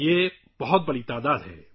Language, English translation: Urdu, This is a very big number